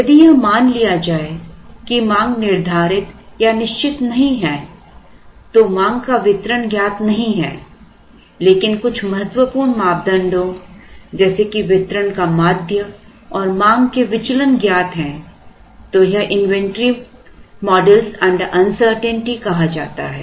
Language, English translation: Hindi, uncertainity, If it is assumed that the demand is not deterministic the distribution of demand is not known but, certain important parameters such as mean and variance of the demand are known, then it is said to be inventory models under uncertainty